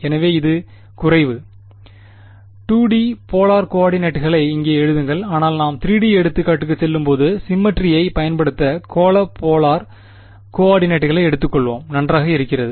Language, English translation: Tamil, So, this is less write it over here 2 D polar coordinates, but when we move to the 3D example we will take spherical polar coordinates for using the symmetry; just fine right